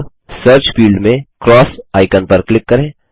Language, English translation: Hindi, Now, in the Search field, click the cross icon